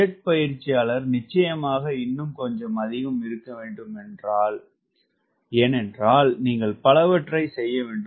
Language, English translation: Tamil, and jet trainer, of course, has to be little more because you have to do so many of maneuvers